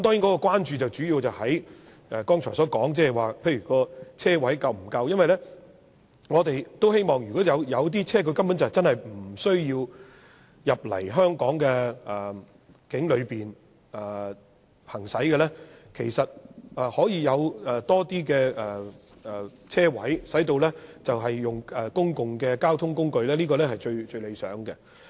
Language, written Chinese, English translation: Cantonese, 我們關注的主要在剛才說的車位是否足夠，因為有些車輛是無需進入香港境內行駛，所以有更多車位，令旅客使用公共交通工具，這是最理想的。, Our main concern is as said earlier whether there is an adequate supply of parking spaces for visitors who have to park their vehicles there and take the public transport to enter the Hong Kong territory . Hence it is most desirable to provide more parking spaces to cater to their needs